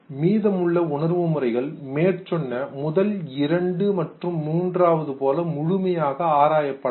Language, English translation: Tamil, The rest of the sense modalities they have not been examined as thoroughly as the first two and then the third one